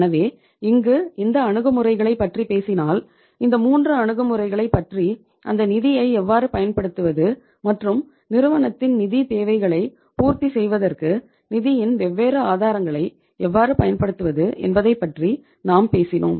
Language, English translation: Tamil, So in this case if you talk about uh this case or these approaches, so we have talked about the these 3 approaches of that how to use the funds and how to utilize the different sources of the funds for fulfilling the financial requirements of the firm